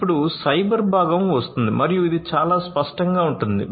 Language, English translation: Telugu, Then comes the cyber component and this is quite obvious